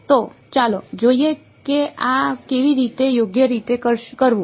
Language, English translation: Gujarati, So, let us see how to do this correctly alright